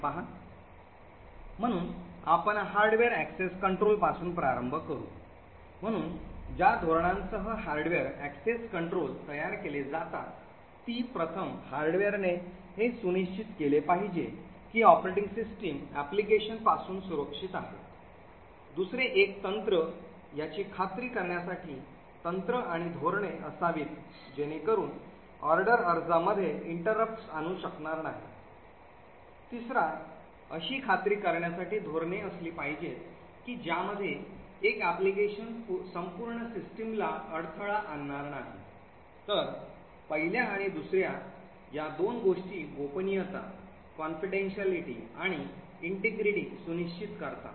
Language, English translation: Marathi, So we will start with the hardware access control, so the policies with which hardware access control are built are these, first the hardware should ensure that the operating system is protected from the applications, second it should have techniques and policies to ensure that one application cannot interfere with an order application, third there should be policies to ensure that one application does not hogg the entire system, so these two things the first and second would ensure confidentiality and the integrity